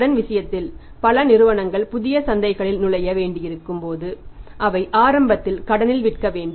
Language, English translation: Tamil, When many companies have to enter into the new markets in that case they have to sell the things initially on credit